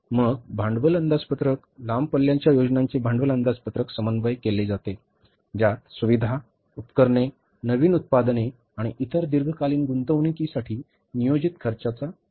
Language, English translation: Marathi, Long range plans are coordinated with capital budgets which detail the planned expenditure for facilities, equipments, new products and other long term investments